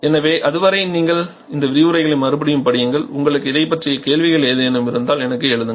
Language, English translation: Tamil, So, till then you revise these lectures and if you have any query please write back to me, thank you